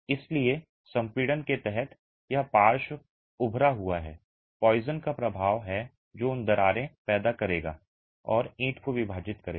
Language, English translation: Hindi, So, under compression it is the lateral bulging, the poisons effect which will cause those cracks and split the brick